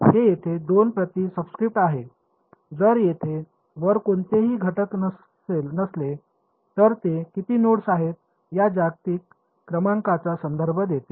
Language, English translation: Marathi, That is what the subscript two over here, if there is no element over here on top then it refers to the global number how many nodes are there